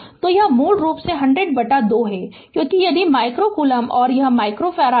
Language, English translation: Hindi, So, it is basically 100 by 2 because if the micro coulomb and it is micro farad